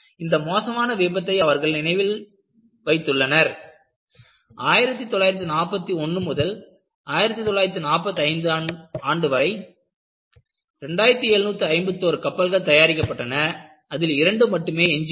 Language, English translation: Tamil, They remember this, nostalgic memories and what is recorded is, out of the 2751 ships built between 1941 and 45, only two remain afloat